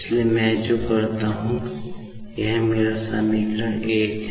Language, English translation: Hindi, So, what I do is, this is my equation , this is , and this is